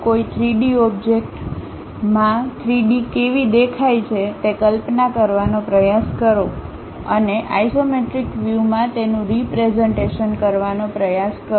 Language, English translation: Gujarati, Try to imagine how an object really looks like in 3D and try to represent that in isometric views